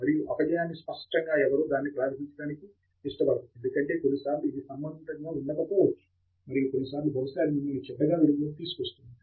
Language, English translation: Telugu, And obviously, nobody wants to present that because sometimes it may not be relevant and sometimes probably it will put you in bad light